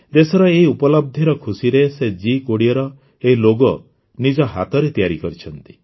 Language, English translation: Odia, Amid the joy of this achievement of the country, he has prepared this logo of G20 with his own hands